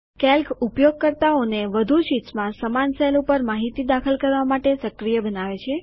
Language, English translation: Gujarati, Calc enables a user to enter the same information in the same cell on multiple sheets